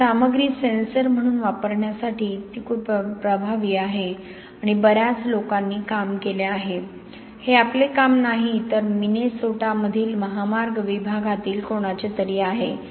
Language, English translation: Marathi, So that is very effective for using this material as a sensor and many people have done work, this is not our work but somebody in highway department in Minnesota, so this is the cement in 0